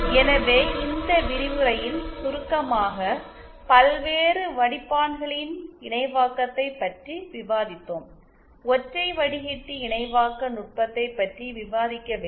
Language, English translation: Tamil, So, in summary in this lecture we have discussed the various filters synthesis, we discuss not various filter only single filter synthesis technique